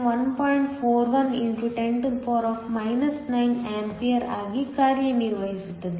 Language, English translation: Kannada, 41 x 10 9 A